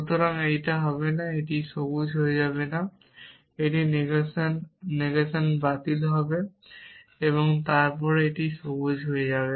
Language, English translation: Bengali, So, this will become not on this will become not green this negation negation cancel then this will become green y